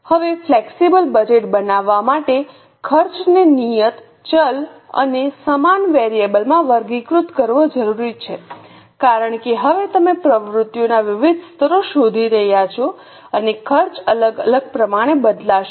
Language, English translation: Gujarati, Now, for making flexible budget, it is necessary to classify the costs into fixed variable and semi variable because now you are looking for different possible levels of activities and the costs are going to change as per different levels of activities